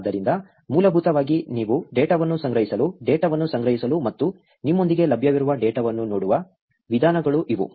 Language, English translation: Kannada, So, essentially, these are the ways by which you can collect the data, store the data and look at the data that is available with you